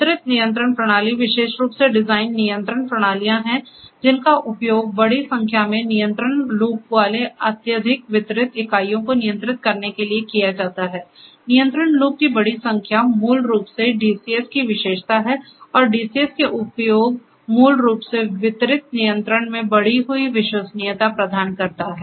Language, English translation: Hindi, Distributed control systems are specially designed control systems that are used to control highly distributed plants having large number of control loops; large number of control loops is basically the characteristics of the use of DCS and DCS basically provides an increased reliability because there is distributed control